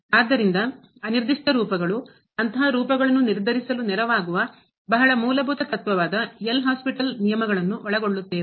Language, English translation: Kannada, So indeterminate forms, L'Hospital's rules which is very fundamental principle to determine a such forms and some worked out examples